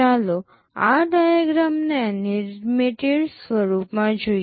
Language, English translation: Gujarati, Let us look at this diagram in an animated form